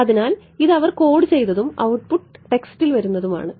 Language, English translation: Malayalam, So, again this is something that they have coded and output comes in text